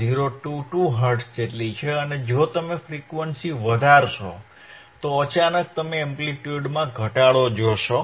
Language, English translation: Gujarati, 022 Hertz and if you increase the frequency, increase the frequency suddenly you will see the drop in the amplitude